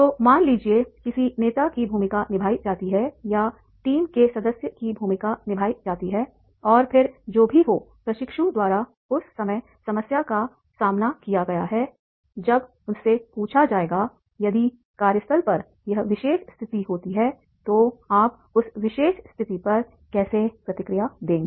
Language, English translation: Hindi, So suppose a leader's role is played or the team member's role is played and then whatever the problem has been faced by the trainee at that time, he will be asked that particular trainee that is the if this situation occurs at the workplace, how will you respond to that particular situation